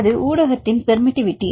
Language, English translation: Tamil, That is a permitivity of the medium